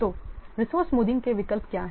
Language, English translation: Hindi, So, what are the alternatives to resource smoothing